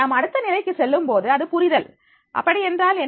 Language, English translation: Tamil, Once we go to the next level that it will be the understanding, what it means